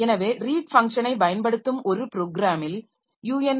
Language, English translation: Tamil, So, a program that uses the read function must include the unishtry